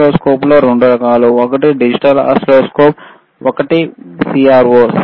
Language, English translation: Telugu, Oscilloscopes are of 2 types: one is digital oscilloscope,